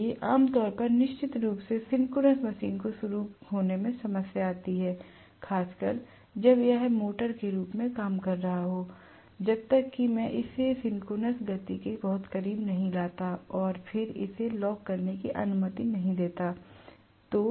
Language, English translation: Hindi, So, generally I am going to have definitely, you know a problem of starting in the synchronous machine, especially when it is working as a motor unless I kind of bring it very close to the synchronous speed and then allow it to lock up